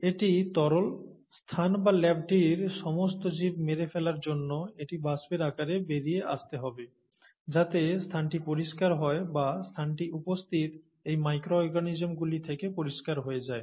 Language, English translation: Bengali, This has to come out into the vapour to kill all the organisms, in the space, in the lab so that the space is made clean or the space is made clear of these micro organisms that are present there